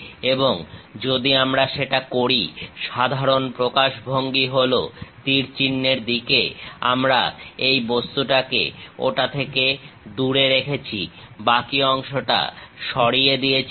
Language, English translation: Bengali, And if we do that, usual representation is in the direction of arrows; we keep the object away from that remove the remaining portion